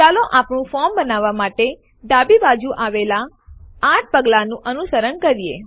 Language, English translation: Gujarati, Let us go through the 8 steps on the left to create our form